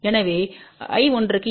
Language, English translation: Tamil, So, what is I 1 equal to